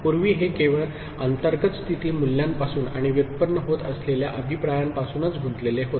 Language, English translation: Marathi, Earlier it was actually involving only from internal state values and the feedback that is getting generated